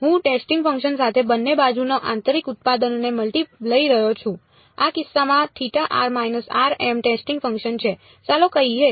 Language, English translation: Gujarati, I am multi taking the inner product of both sides with the testing function, the testing function is in this case delta of r minus r m let us say